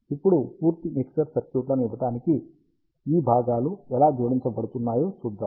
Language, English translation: Telugu, Now, we will see how these components are actually added to give a complete mixer circuit